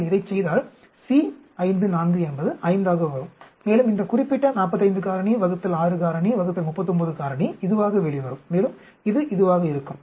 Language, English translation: Tamil, If you do this C 5 4 will come to be 5, and this particular 45 factorial divided by 6 factorial divided by 39 factorial will come out to be this, and this will come to be this